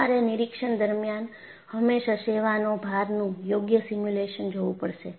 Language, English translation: Gujarati, So, you will always have to look at proper simulation of service loads during testing